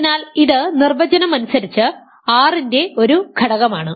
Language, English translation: Malayalam, So, this is an element of R by definition ok